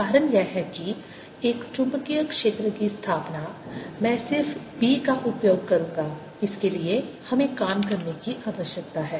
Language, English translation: Hindi, the reason is that establishing a magnetic field, a magnetic field i'll just use b for it requires us to do work